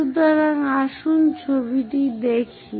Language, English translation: Bengali, So, let us look at the picture